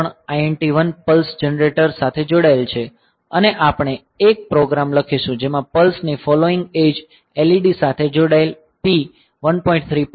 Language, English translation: Gujarati, 3, INT 1 connected to a pulse generator and we will write a program in which the following edge of the pulse will send a high bit to P 1